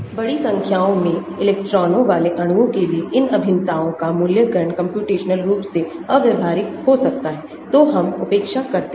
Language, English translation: Hindi, For molecules with large number of electrons, evaluation of these integrals can be computationally impractical, so we neglect